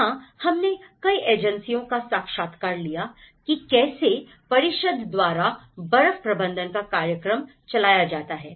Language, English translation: Hindi, So, there we have interviewed many agencies, how the snow management program has been conducted by the council